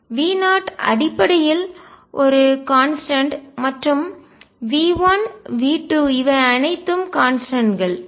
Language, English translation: Tamil, V 0 is basically a constant, and V n V 1 V 2, all these are constants